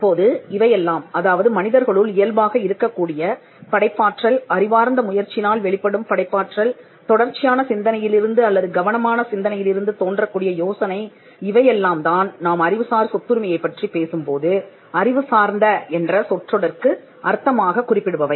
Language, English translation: Tamil, Now, all these things creativeness, that is inherent in human beings, creativity that comes out of an intellectual effort, and idea that comes from constant thinking or careful thinking; these things is what we referred to as intellectual in the context of intellectual property rights